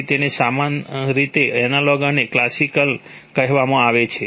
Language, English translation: Gujarati, So therefore it is called analog and classical so similarly